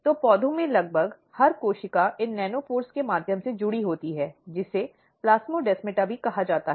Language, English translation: Hindi, So, symplastic cell to cell communication is basically through a nanopore between two cells, which is called plasmodesmata